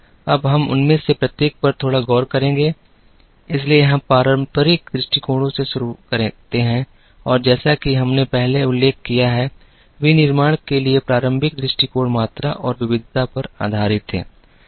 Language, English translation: Hindi, Now,we will look at each one of them a little bit,so we start with traditional approaches and as we mentioned earlier, traditional approaches to manufacturing were based on volume and variety